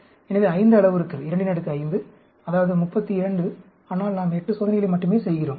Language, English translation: Tamil, So, 5 parameters; 2 power 5, that is, 32, but we are doing only 8 experiments